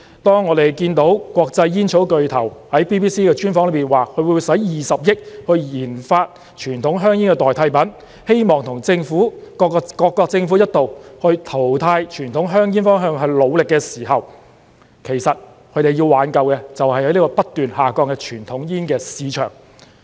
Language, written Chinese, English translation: Cantonese, 當我們看到國際煙草巨頭在 BBC 的專訪說，他會用20億元研發傳統香煙的代替品，希望與各國政府一道朝淘汰傳統香煙的方向努力的時候，其實他們要挽救的，就是不斷下降的傳統煙市場。, In an exclusive BBC interview an international tobacco giant said 2 billion that he would invest in research and development of substitutes to conventional cigarettes in the hope of working towards phasing out conventional cigarettes with various governments . In doing so these international tobacco giants actually want to save the shrinking conventional cigarette market